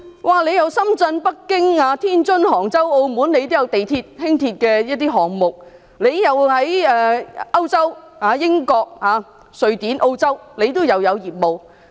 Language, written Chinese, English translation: Cantonese, 它在深圳、北京、天津、杭州及澳門，也有地鐵及輕鐵的項目；遠在歐洲的英國、瑞典及澳洲，都有業務。, It invests in underground railway and light rail projects in Shenzhen Beijing Tianjin Hangzhou and Macao . It also has businesses in as far away as European countries such as the United Kingdom Sweden as well as Australia